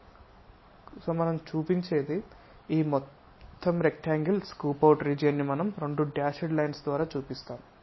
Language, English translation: Telugu, So, what we show is; this entire rectangular scooped out region we will show it by two dashed lines